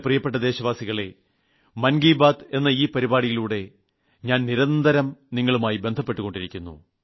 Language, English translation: Malayalam, My dear country men, through Mann Ki Baat, I connect with you regularly